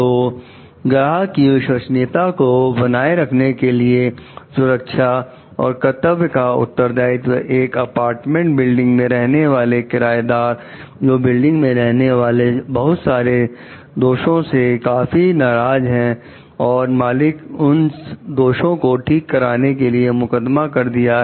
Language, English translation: Hindi, So, The Responsibility for Safety and the Obligation to Preserve Client Confidentiality, tenants of an apartment building, annoyed by many building defects, sue the owners to force them to repair their defects